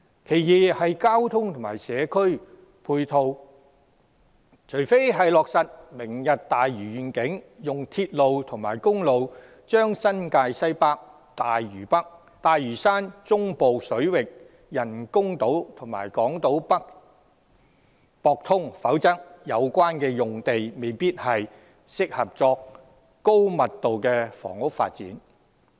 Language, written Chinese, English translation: Cantonese, 第二，在交通及社區配套方面，除非是落實"明日大嶼願景"，以鐵路及公路接通新界西北、大嶼山、中部水域人工島及港島北，否則相關用地未必適合用作高密度房屋發展。, Second in terms of transport and community facilities unless links of railway and road between the Northwest New Territories Lantau Island the proposed artificial islands in the central waters and Hong Kong Island have been established with the implementation of the Lantau Tomorrow Vision the site may not be suitable for high - density housing development